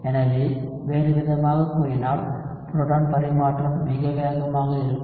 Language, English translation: Tamil, So, in other words the proton transfer is very very fast